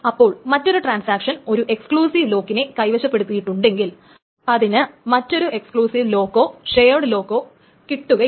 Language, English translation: Malayalam, So if there is another transaction that holds an exclusive lock, it cannot get another exclusive lock or shared lock in it